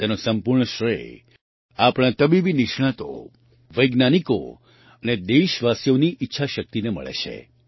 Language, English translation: Gujarati, Full credit for this goes to the willpower of our Medical Experts, Scientists and countrymen